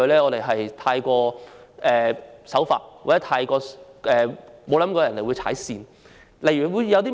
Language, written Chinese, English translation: Cantonese, 我們太守法或沒想過有人會踩界。, Being law abiding we have never thought that others would overstep the mark